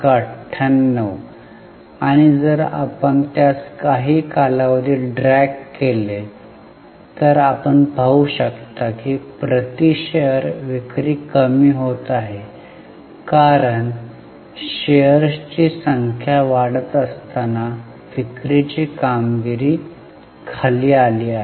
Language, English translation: Marathi, And if we drag it over a period of time, you can see there is a slow fall in the sale per share because the sale performance has dropped while the number of shares have gone up